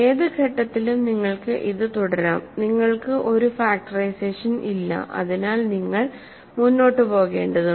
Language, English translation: Malayalam, So, you can keep doing this at any stage, you do not have a factorization, so you have to keep going